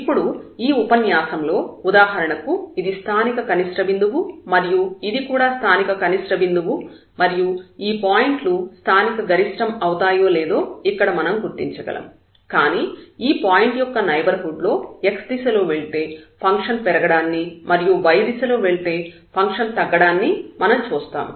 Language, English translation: Telugu, And now in the this lecture, we will identify whether for example, here we can see that this looks like a point of local minimum, here also its a local minimum, these points are local maximum, but at this point here in the neighborhood of we see if we go in this direction, in the direction of this x, then the function is increasing if we go in the direction of y the function is decreasing